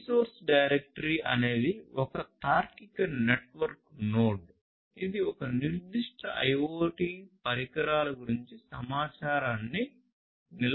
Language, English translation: Telugu, So, a resource directory is a logical network node that stores the information about a specific set of IoT devices